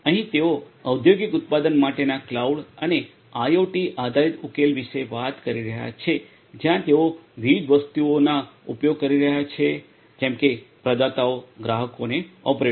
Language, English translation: Gujarati, Here they are talking about a cloud and IoT based solution for industrial manufacturing where they are using different entities such as; the providers the consumers and the operators